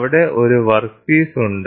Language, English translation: Malayalam, So, here is a workpiece